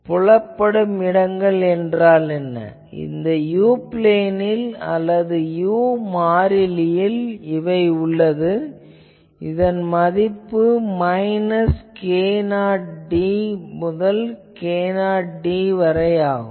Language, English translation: Tamil, So, what will be the visible space, visible space is in the u plane or in the I mean u variable, the visible space will be from minus k 0 d to plus k 0 d